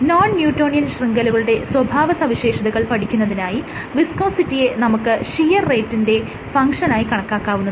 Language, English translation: Malayalam, For probing the behavior of networks like non newtonian networks what you can do you can track the viscosity as a function of shear rate